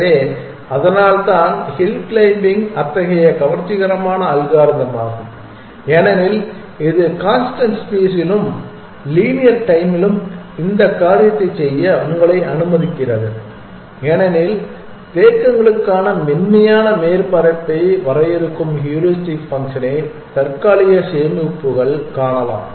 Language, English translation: Tamil, So, that is why hill climbing is such an attractive algorithm because it allows you to do this thing at constant space and linear time essentially the caches can you find the heuristic function which will define the smooth surface for the searched